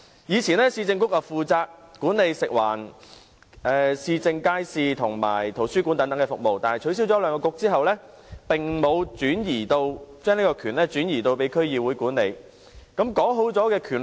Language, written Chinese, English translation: Cantonese, 以往，市政局負責管理食物、環境、市政街市和圖書館等服務，但在兩局取消後，當局並沒有將權力轉移，由區議會負責管理。, In the past the Municipal Councils were responsible for the management of food environment market services and libraries . However after their abolition the authorities did not transfer the powers to the DCs